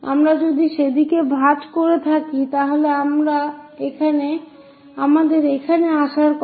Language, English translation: Bengali, If we are folding it in that direction is supposed to come here